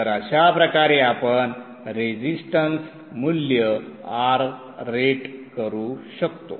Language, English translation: Marathi, So this way you can rate the resistance value R